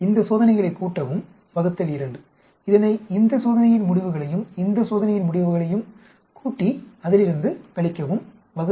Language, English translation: Tamil, This experiment add up divide by 2 subtract it from the results of this experiment plus this experiment by two